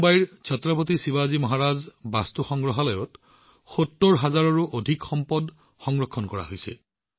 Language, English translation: Assamese, Mumbai's Chhatrapati Shivaji Maharaj VastuSangrahalaya is such a museum, in which more than 70 thousand items have been preserved